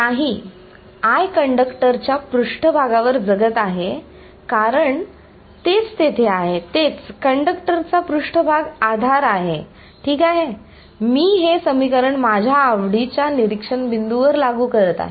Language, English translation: Marathi, No, the I continues to live on the surface of the conductor because that is where it is that is its support the surface of the conductor right, I am enforcing this equation at the observation points which is my choice